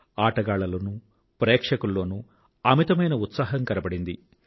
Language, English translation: Telugu, There was a lot of enthusiasm among the players and the spectators